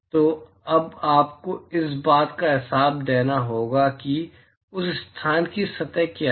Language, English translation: Hindi, So, now, you will have to account for what is the surface of that location